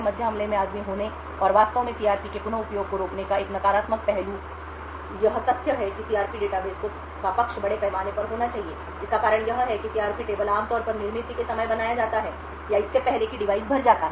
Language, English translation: Hindi, One negative aspect of having the man in the middle attack and actually preventing the reuse of CRPs is the fact that the side of the CRP database should be extensively large, the reason for this is that the CRP tables are generally created at the time of manufactured or before the device is filled